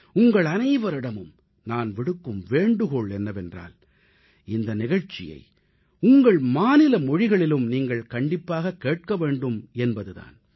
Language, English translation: Tamil, I would request all of you also to kindly listen to this programme in your regional language as well